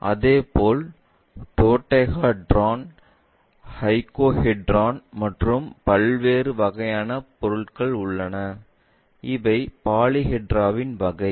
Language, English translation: Tamil, Similarly, we have dodecahedron, icosahedrons and different kind of objects, these are commander category of polyhedra